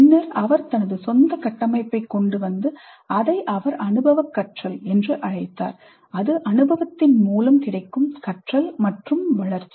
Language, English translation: Tamil, Then came out with his own framework which he called as experiential learning, experience as the source of learning and development